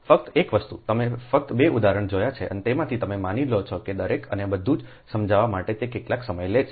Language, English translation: Gujarati, so one thing that, ah, you have seen just two examples and from that you assume that how much time it takes to explain that each and everything, right and ah